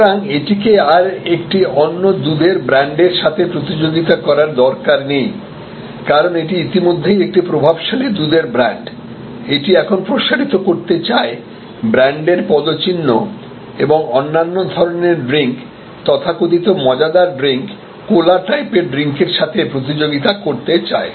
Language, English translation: Bengali, So, it no longer needs to compete with other milk brands, because it is already a dominant milk brand, it now wants to expand it is brand footprint and wants to compete with other kinds of beverages, the so called fun beverages, the cola type of beverages and so on